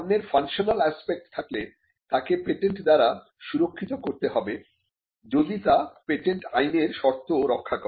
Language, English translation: Bengali, If it is the functional aspect of the product, then it should be protected by a patent provided it satisfies the requirements in patent law